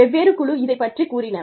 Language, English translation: Tamil, Different teams were told about it